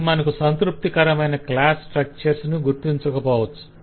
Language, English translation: Telugu, it will not give you a satisfactory class structure, possibly